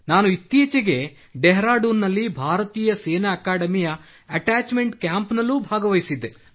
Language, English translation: Kannada, I recently was a part of the attachment camp at Indian Military Academy, Dehradun